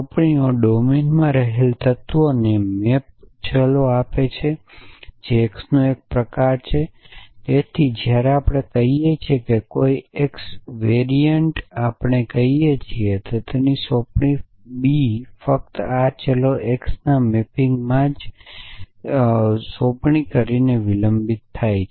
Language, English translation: Gujarati, Assignments give map variables to elements in the domine that is an x variant of a so when we say an x variant of a we mean that the assignment B defers from the assignment a only in the mapping of these variable x